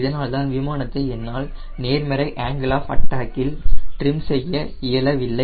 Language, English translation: Tamil, that is why i cannot trim the aero plane at a positive angle of attack